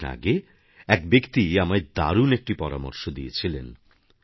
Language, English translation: Bengali, A few days ago, a gentleman had given me a very sound proposition